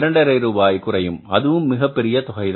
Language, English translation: Tamil, And 5 rupees is a very big amount